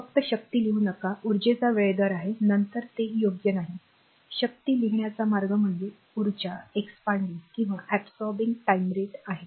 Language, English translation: Marathi, Simply do not write the power is the time rate of energy then it is not correct better you should write power is the time rate of expanding or absorbing energy right